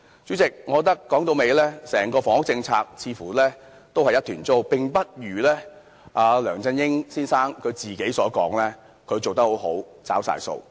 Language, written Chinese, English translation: Cantonese, 主席，我認為整套房屋政策都是一團糟，並不如梁振英先生自己所言，做得很好，已全部"找了數"。, President I think the housing polices as a whole is a mess which is different from what LEUNG Chun - ying said . He remarked that he has done very well and has implemented all his initiatives